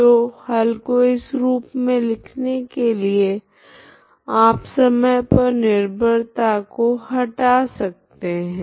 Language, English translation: Hindi, So by writing your solution like this you can remove this t time dependence